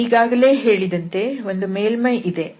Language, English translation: Kannada, So, as I said so, we will have a surface